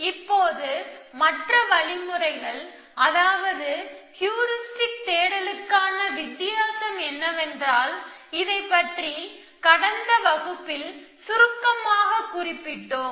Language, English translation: Tamil, Now, the difference between the other algorithms heuristic search, we just briefly mentioned in the passing that we know